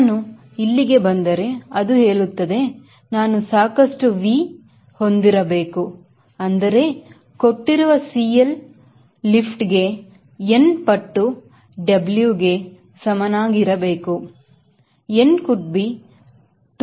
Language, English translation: Kannada, if i come here, it says i should have enough v, such that for a given cl lift should be equal to n times w